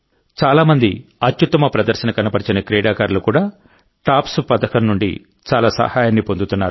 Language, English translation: Telugu, Many of the best performing Athletes are also getting a lot of help from the TOPS Scheme